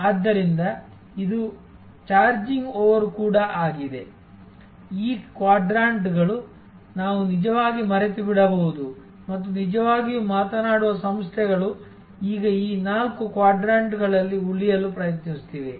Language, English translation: Kannada, So, this is even this over charging, these quadrants we can actually forget and really speaking organizations are now trying to remain within these four quadrants